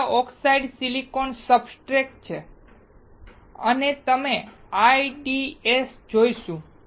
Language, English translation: Gujarati, This is oxidized silicon substrate and we will see IDEs